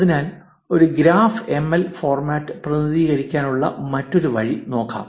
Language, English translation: Malayalam, Therefore, let us look at another way to represent a graph, graph ML format